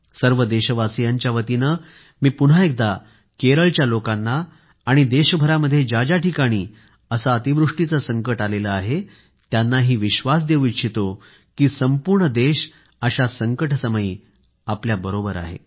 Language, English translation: Marathi, Once again on behalf of all Indians, I would like to re assure each & everyone in Kerala and other affected places that at this moment of calamity, the entire country stands by them